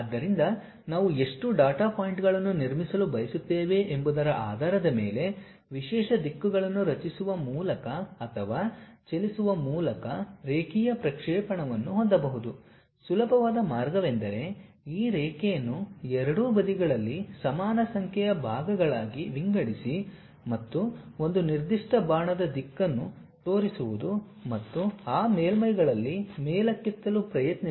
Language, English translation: Kannada, So, based on how many data points we would like to construct one can have a linear interpolation by creating or moving along a specialized directions one of the easiest way is dividing this line into equal number of parts on both sides and showing one particular arrow direction and try to loft along that surfaces